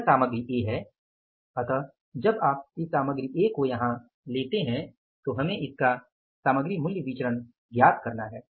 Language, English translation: Hindi, So, when you take this material A here we will have to calculate it material price variance